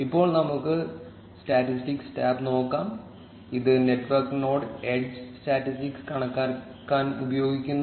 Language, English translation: Malayalam, Now let us look at the statistics tab, which is used to calculate the network node edge statistics